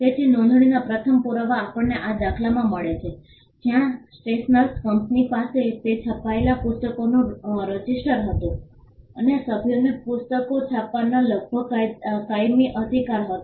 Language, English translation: Gujarati, So, the first evidence of registration we find it in this instance where the stationers company had a register of the books that it printed, and members had almost a perpetual right to print the books